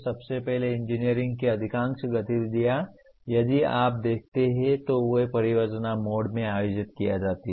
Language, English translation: Hindi, First of all, most of the engineering activities if you look at, they are conducted in a project mode